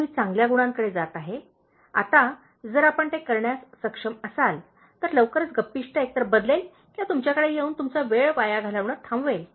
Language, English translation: Marathi, So, I would go by the good qualities, now if you are able to do that, very soon the gossiper will either change or will stop coming to you and wasting your time